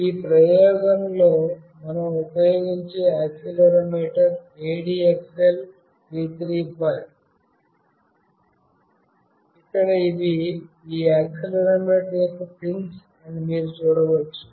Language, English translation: Telugu, The accelerometer that we will be using in this experiment is ADXL 335, where you can see that these are the pins of this accelerometer